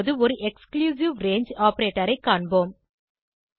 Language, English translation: Tamil, Now we will see an exclusive range operator